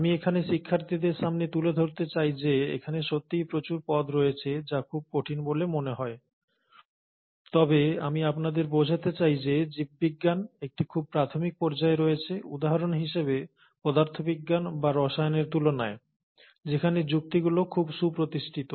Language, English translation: Bengali, I would like to bring out to the students here that indeed there are lot of terms which seem very difficult, but I would also like you to understand that biology is at a very infant stage, in comparison to, for example physics or chemistry, where the logics of chemistry and physics are very well defined